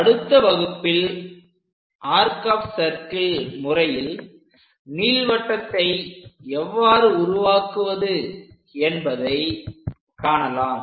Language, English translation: Tamil, In the next lecture, we will learn about arc of circles methods to construct an ellipse